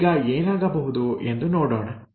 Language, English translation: Kannada, Now let us look at what will happen